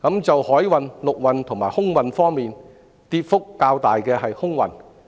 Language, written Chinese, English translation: Cantonese, 在海運、陸運及空運方面，跌幅較大的是空運。, In respect of sea land and air transport there was a relatively large decline in air transport